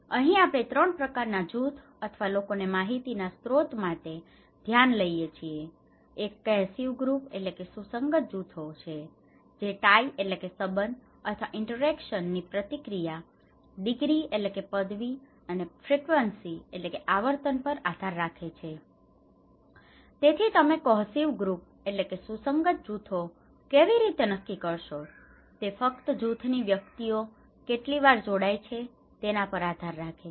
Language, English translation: Gujarati, Here, we consider 3 kind of group or the source of information for people, one is the cohesive groups that depends on the degree and frequency of the tie or interactions okay so given, so how do you decide the cohesive groups; it is just a matter of that how frequently the individuals within a group is connecting